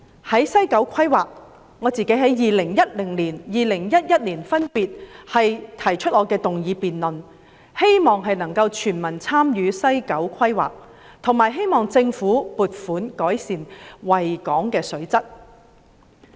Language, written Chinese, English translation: Cantonese, 在西九規劃方面，我在2010年、2011年分別提出議案，希望全民參與西九規劃，以及希望政府撥款改善維港的水質。, As for the planning of West Kowloon I proposed motions in 2010 and 2011 urging society as a whole to participate in the planning of West Kowloon and the Government to allocate funding for improvement of the water quality of the Victoria Harbour